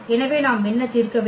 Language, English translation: Tamil, So, what we need to solve